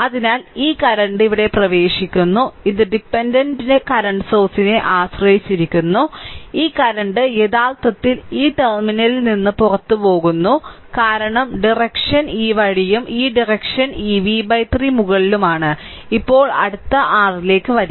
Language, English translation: Malayalam, So, this current is entering here and this is dependent current source, this current actually leaving this terminal because direction is this way and this direction is upward this v by 3; now you apply and next come to the your what you call the problem